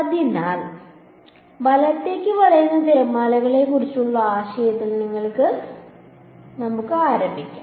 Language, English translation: Malayalam, So, let us just start with the idea of waves that are bending right